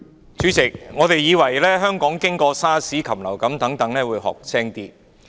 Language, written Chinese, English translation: Cantonese, 主席，我們還以為香港經過 SARS 及禽流感後會學得精明點。, President we thought that Hong Kong should have become smarter after the SARS and avian flu epidemics